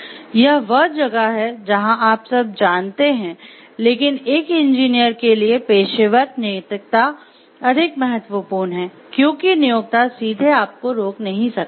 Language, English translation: Hindi, So, this is where you know, like when you talking of, why professional ethics is important for an engineer due to this reason, because the employer may not directly stop you, may not be able to stop you